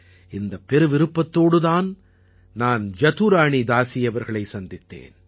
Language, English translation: Tamil, With this curiosity I met Jaduarani Dasi ji